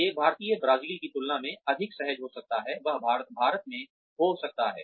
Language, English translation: Hindi, An Indian may be more comfortable in Brazil than, he may be in India